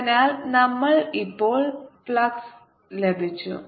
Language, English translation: Malayalam, so we have got the flux